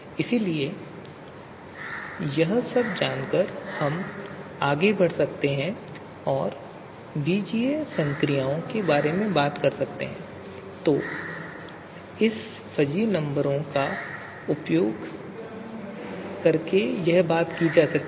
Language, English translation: Hindi, So knowing all this we can go ahead and talk about the you know algebraic operations that can be performed using these fuzzy numbers